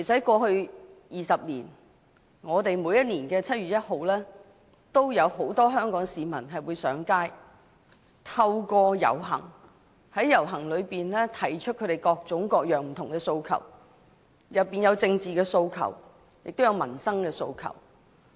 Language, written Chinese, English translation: Cantonese, 過去10多年，每一年的7月1日都有很多香港市民上街，透過遊行提出各種各樣的訴求，包括政治訴求、民生訴求。, Over the past 10 - odd years on 1 July of each year many people of Hong Kong took to the streets . Through participating in the march they voice out various demands including political and livelihood - related aspirations